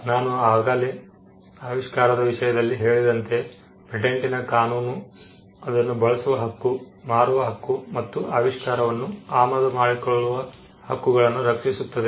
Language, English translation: Kannada, As I said in the case of an invention, patent law, protects the right to make the right to use, the right to sell, the right to offer for sale, and the right to import the invention